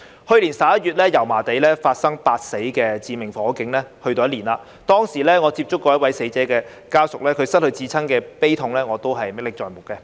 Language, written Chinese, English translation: Cantonese, 去年11月，油麻地發生8死的致命火警，已有一年，當時，我曾接觸一位死者家屬，他失去至親的悲痛，我仍然歷歷在目。, In November last year a fire occurred in Yau Ma Tei in which eight people were killed . It has been a year now . Back then I met with a family member of one of the deceased